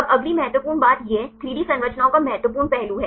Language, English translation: Hindi, Now, the next important thing this is the important aspect of the 3D structures